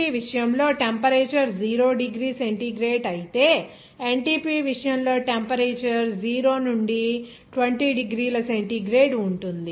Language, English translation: Telugu, In case of STP, the temperature will be 0 degree centigrade whereas in case of NTP, the temperature will be 0 to 20 degree centigrade